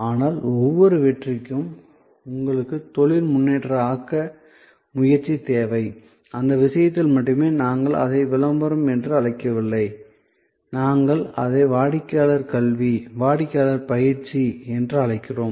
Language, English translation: Tamil, But, for each success, you need promotion, only in this case, we do not call it promotion, we call it customer education, customer training